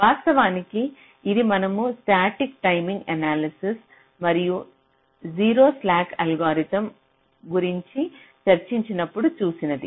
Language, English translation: Telugu, thats actually what is saw earlier when we discussed the static timing analysis and also the zero skew algorithms